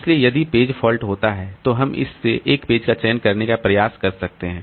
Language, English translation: Hindi, So, if a page fault occurs, then we can try to select a page from this one